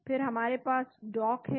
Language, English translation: Hindi, Then we have the DOCK